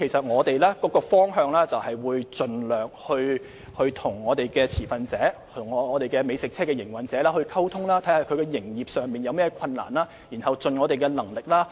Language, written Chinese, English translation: Cantonese, 我們的方向就是盡量與持份者，即美食車營運者溝通，了解他們在營運上有何困難，然後再盡一切努力協助。, Our direction is to try our best to liaise with the stakeholders to understand their operation difficulties and then make all - out effort to help them